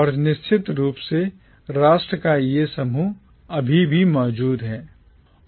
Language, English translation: Hindi, And this grouping of nation of course still exists